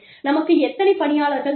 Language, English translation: Tamil, How many people, do we need